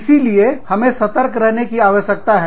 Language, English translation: Hindi, So, we need to be careful